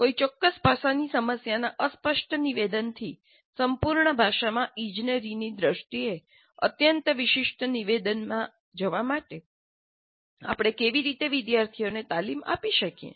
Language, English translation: Gujarati, So how do we train the students in moving from the Fudgee statement of the problem in a natural language to highly specific statement in engineering terms of a completely specified problem